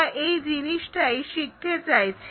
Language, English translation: Bengali, We would like to learn